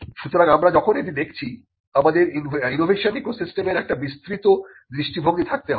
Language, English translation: Bengali, So, when we are looking at this, we have to have a broader view of the innovation ecosystem